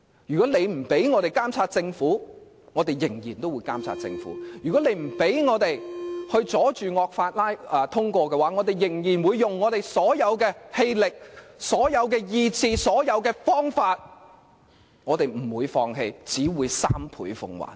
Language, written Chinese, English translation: Cantonese, 如果他們不讓我們監察政府，我們仍會監察政府；如果他們不讓我們阻止惡法通過，我們仍會使用我們所有氣力、意志和方法，我們不會放棄，只會三倍奉還。, We will still strive to monitor the Government even if they refuse to let us do so . If they try to hinder our resistance to the passage of draconian laws we will resort to all our might willpower and means . Instead of giving up we will pay them back three times for what they have done